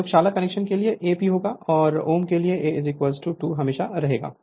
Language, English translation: Hindi, For lab connection A will be P; and for om A will be is equal to 2 always right